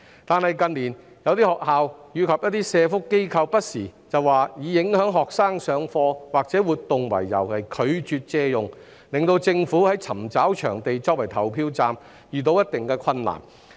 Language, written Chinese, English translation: Cantonese, 可是，近年有些學校及社福機構不時以影響學生上課或活動為由而拒絕借用，令政府在尋找場地作為投票站時遇到一定困難。, Nonetheless in recent years certain schools and welfare organizations have from time to time refused to make available their premises on the grounds of affecting the lessons or activities of students . Thus the Government has encountered considerable difficulties in finding venues for use as polling stations